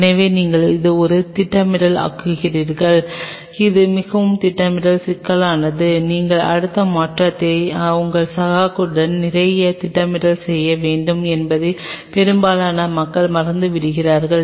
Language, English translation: Tamil, So, you make it a scheduling, it is a very scheduling problem which most of the people forget you have to do a lot of a scheduling with your colleagues that you next change